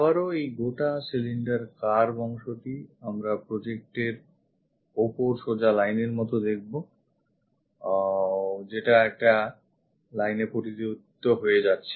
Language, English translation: Bengali, Again this entire cylinder curved portion we see it like a straight line on the projection this one turns out to be a line